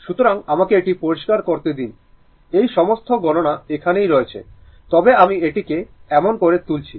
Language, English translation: Bengali, So, let me clear it all this calculations are there, but I am making it such that